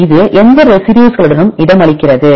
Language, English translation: Tamil, So, it is accommodated with which residues